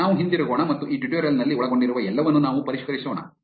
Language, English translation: Kannada, Let us just go back and revise what all we covered in this tutorial